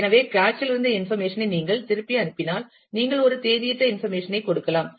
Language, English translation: Tamil, So, if you send the cached information back then, you may be giving a dated information